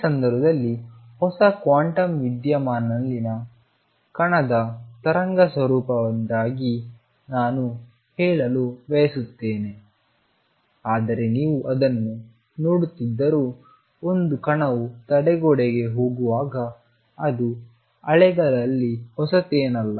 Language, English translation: Kannada, This case, all I want to say because of the wave nature of the particle in new quantum phenomena come although you are seeing it in the context of a particle going across the barrier it is nothing new in waves